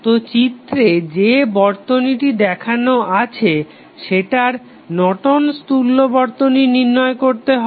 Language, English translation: Bengali, So, the circuit which is given in the figure we need to find out the Norton's equivalent of the circuit